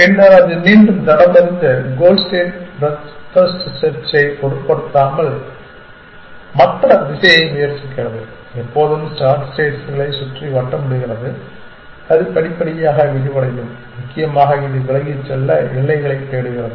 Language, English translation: Tamil, Then, it back tracks and tries other direction irrespective of where the goal state is breadth first search always circles around the star states and it will gradually expand, it search frontier to move away essentially